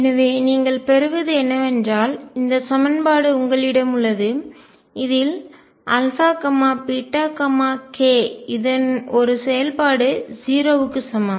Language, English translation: Tamil, So, what you get is that you have this equation which involves alpha, beta, k, a function is equal to 0